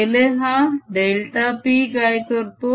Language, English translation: Marathi, this is nothing but delta p